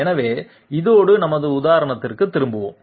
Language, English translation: Tamil, So with this one let s move right back into our example